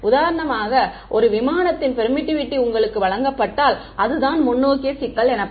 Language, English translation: Tamil, We assume that for example, the permittivity of an aircraft that was given to you that is the forward problem